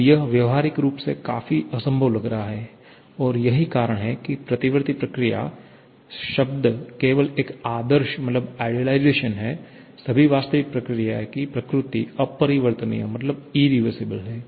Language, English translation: Hindi, Now, that is practically looking quite impossible and that is why irreversible or reversible processes, the term is only an idealization; all real processes are irreversible in nature